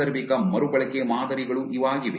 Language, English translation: Kannada, Occasional reuse patterns